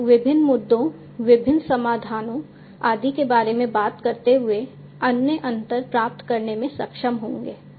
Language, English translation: Hindi, You will be able to get the different other differences talking about different issues, different solutions and so on